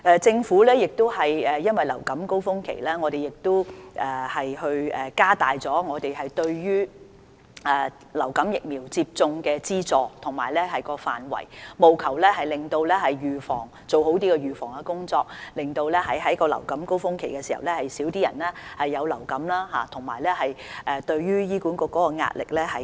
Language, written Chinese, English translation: Cantonese, 政府亦因應流感高峰期，加大了對於流感疫苗接種的資助及範圍，務求做好預防工作，減少在流感高峰期患上流感的人數，從而減輕醫管局的壓力。, In response to the influenza peak season the Government has increased the subsidy for influenza vaccination and extended its coverage with a view to reducing the number of people suffering from influenza during the peak season through preventive efforts thereby alleviating the pressure on HA